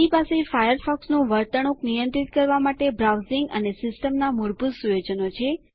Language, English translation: Gujarati, It has Browsing and System Default settings to control the behavior of Firefox